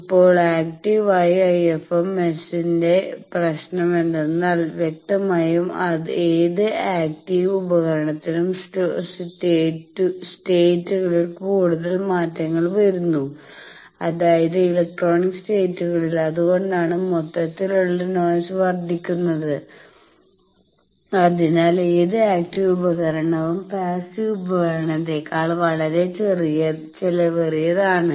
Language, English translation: Malayalam, Now, problem with active IFM S is obviously, any active device it is having much more change of states electronic states and that is why the noise of the whole thing increases then any active device is much more costly than passive devices